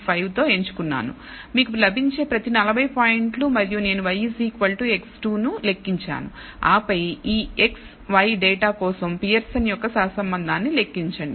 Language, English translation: Telugu, 5 each 40 points you get and I will computed y equals x square and then compute a Pearson’s correlation for this x y data